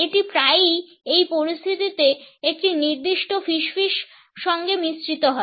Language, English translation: Bengali, It is often combined with a certain whisperiness in this situations